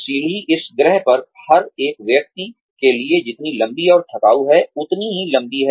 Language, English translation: Hindi, The staircase is, as long and tedious, as it seems, for every single person on this planet